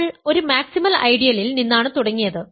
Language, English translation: Malayalam, So, it is a maximal ideal